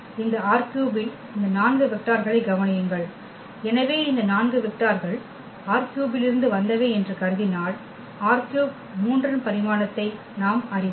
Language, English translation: Tamil, Consider this 4 vectors in this R 3; so, if we consider these 4 vectors are from R 3 and we know the dimension of R 3 is 3